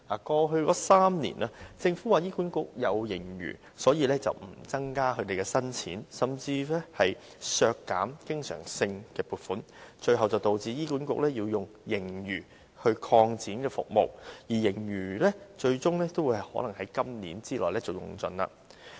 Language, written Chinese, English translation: Cantonese, 過去3年，政府指醫管局有盈餘，因而不增加撥款，甚至削減對醫管局的經常性撥款，最後導致醫管局要用盈餘來擴展服務，而盈餘最終可能會在今年之內用盡。, In the past three years the Government has refrained from increasing the funding for HA because of its surplus and even slashed its recurrent funding . In the end HA has to use its surplus to expand services and its surplus might ultimately be exhausted within this year